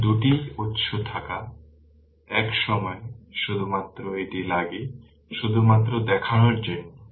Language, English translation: Bengali, Because you have 3 sources take only one at a time, just to show you right